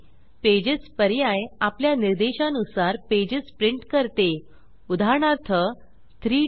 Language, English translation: Marathi, Pages option prints the pages according to our specification, say for example, 3 4